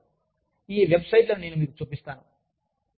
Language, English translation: Telugu, Couple of things, i will show you, these websites